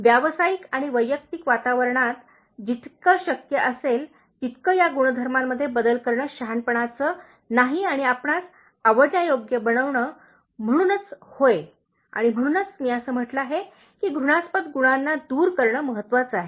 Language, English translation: Marathi, Is it not wise to change those traits, as much as possible and make you likeable, in a professional and personal environment, so, yes of course, and that is the reason why I said that it is very important to eliminate detestable qualities